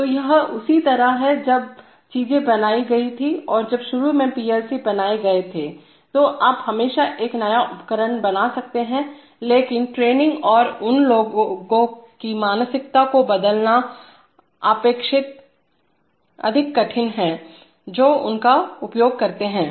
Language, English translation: Hindi, So this is the way things were made and when PLCs were made initially, you can always make a new device, but it is relatively more difficult to change the training and the mindset of the people who use them